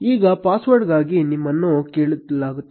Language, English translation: Kannada, Now, you will be prompted for a password